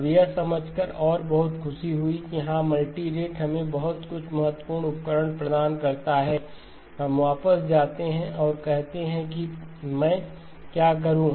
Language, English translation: Hindi, Now having understood this and very happy that yes multirate gives us some significant tools to work with, we go back and say what do I do